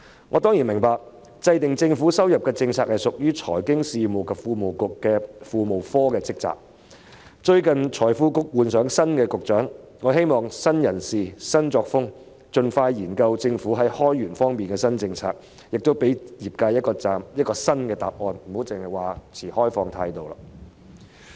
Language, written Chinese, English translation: Cantonese, 我當然明白，制訂政府收入政策屬於財經事務及庫務局庫務科的職責，而最近該局換了新局長，我希望會有新人事、新作風，使局方能夠盡快研究政府在開源方面的新政策，亦可以給予業界一個新答案，不要再只說持開放態度。, I certainly understand that formulating the policy on government revenue falls within the remit of the Treasury Branch of the Financial Services and the Treasury Bureau . Since the Bureau has a new Secretary recently I hope a new person and a new style will enable the Bureau to expeditiously study new government policies on generating revenue and give a new reply to the industry rather than merely saying that it adopts an open attitude